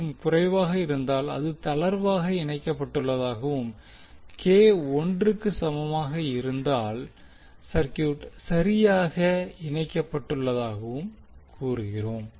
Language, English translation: Tamil, 5, we will say that it is loosely coupled and in case k is equal to one will say circuit is perfectly coupled